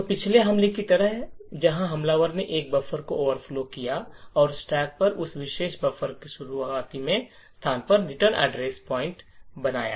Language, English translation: Hindi, So just like the previous attack where the attacker overflowed a buffer and made the return address point to the starting location of that particular buffer on the stack